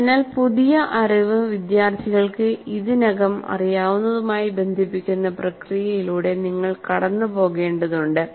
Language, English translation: Malayalam, So you have to go through the process of linking the new knowledge to the what the students already knew